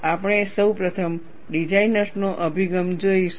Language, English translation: Gujarati, We will see that designers' approach first